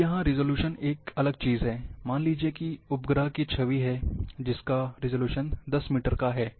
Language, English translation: Hindi, Now the resolution is a different thing, suppose a satellite image which is having 10 metre resolution